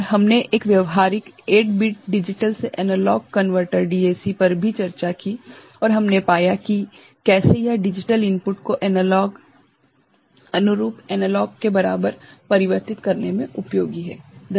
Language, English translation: Hindi, And, we also discussed one practical 8 bit digital to analog converter DAC 0808 and we found, how it is useful in converting a digital input to corresponding analog equivalent